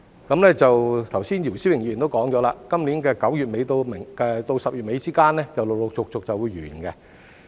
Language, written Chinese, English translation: Cantonese, 剛才姚思榮議員亦提到，今年9月底至10月底之間便會陸陸續續完結。, As Mr YIU Si - wing also mentioned earlier the scheme will eventually come to an end between end September and end October this year